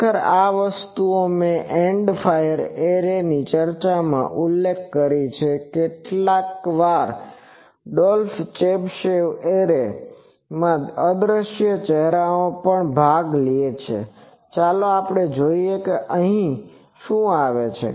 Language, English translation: Gujarati, Actually this thing I mentioned in discussing end fire array that sometimes in Dolph Chebyshev arrays, the a portion in the invisible face is gone actually that comes from here